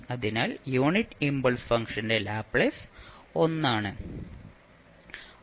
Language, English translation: Malayalam, So, the Laplace of the unit impulse function is 1